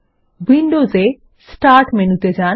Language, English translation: Bengali, In Windows go to the Start menu